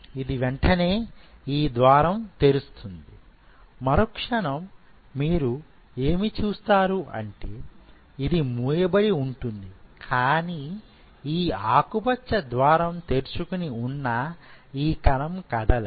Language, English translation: Telugu, So, it will immediately open this gate and the next phase what you will see, this is this is this will remain close, but this green gate is now open and this cell would not move